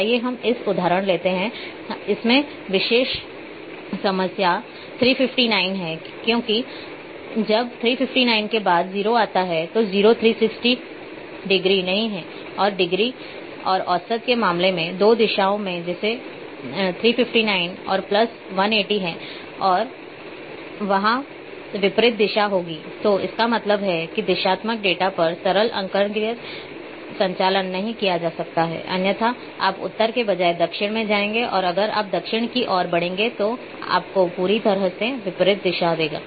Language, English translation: Hindi, Let us take this example of that the special problem that when three 59 and it is 0 after 359, 0 comes not 360 degree and in case of degrees and average in two directions such as 359 and plus one is 180 and there would be the just opposite direction so; that means, on directional data simple arithmetic operations cannot be performed otherwise, you will go instead of north, you may lead towards the south and it will give you completely opposite directions